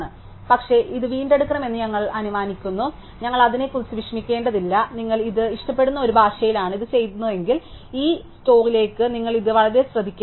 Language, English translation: Malayalam, But, we assume that this should be recovered and we do not at you worry about it, if you are doing this in a language likes see, then you have to be very careful to this store this back to the free space